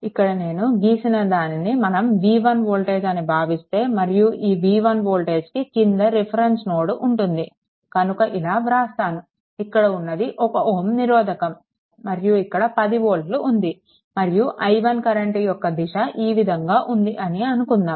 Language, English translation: Telugu, Suppose this is my voltage v 1 right and then because voltage v 1 means with respect to this your reference ah reference node right and then if I make it like this, this is one ohm this is my 10 volt right and direction of the your what we call the current this is say i 1 like this right